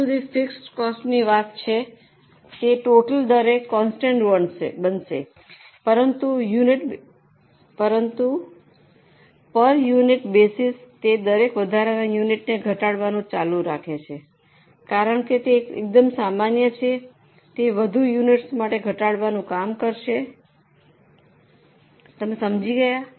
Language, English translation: Gujarati, As far as fixed costs are concerned, they are going to be constant at a total but on per unit basis they go on reducing for every extra unit because they are common in total they will go on reducing for more units